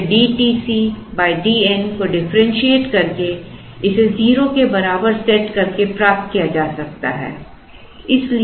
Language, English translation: Hindi, So, that can be got by differentiating d T C by d n and setting it equal to 0